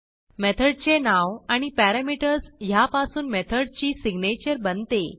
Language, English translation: Marathi, The method name and the parameters forms the signature of the method